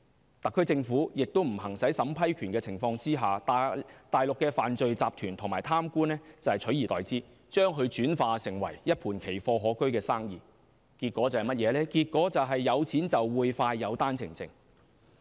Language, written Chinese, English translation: Cantonese, 在特區政府不行使審批權的情況下，內地犯罪集團和貪官取而代之，經營一盤奇貨可居的生意，結果是有錢就會快有單程證。, Since the SAR Government is not going to exercise the vetting and approval power Mainland criminal syndicates and corrupted officials are taking its place to run this lucrative business . As a result those who are rich enough to pay the price can get their OWPs faster than law - abiding applicants